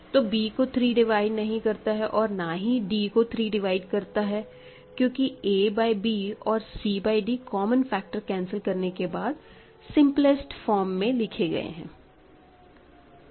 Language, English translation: Hindi, 3 does not divide b; 3 does not divide d because a by b c by d in their simple forms after cancelling common factors are in R